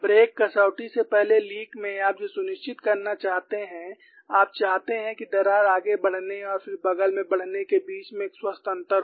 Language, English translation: Hindi, In the lake before break criterion what you want to ensure is you want to have a healthy gap between the crack moving front and then moving sideways